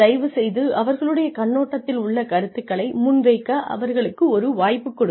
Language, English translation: Tamil, Please give them a chance to present their point of view also